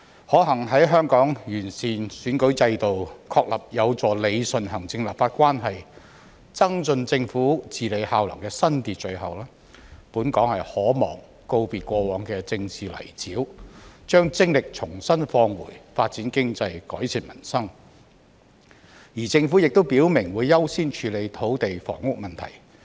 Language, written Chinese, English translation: Cantonese, 可幸在香港完善選舉制度、確立有助理順行政立法關係及增進政府治理效能的新秩序後，本港可望告別過往的政治泥沼，把精力重新放回發展經濟、改善民生，而政府亦已表明會優先處理土地房屋問題。, Fortunately following an improvement of the electoral system and an establishment of a new order conducive to rationalizing the relationship between the executive and the legislature as well as enhancing the efficiency of governance Hong Kong is expected to bid farewell to the political quagmire of the past and redirect its energy in promoting economic development and improving peoples livelihood . The Government has also indicated that priority will be given to solving the problems of land and housing